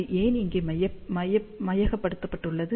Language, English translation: Tamil, So, why it has been taken over here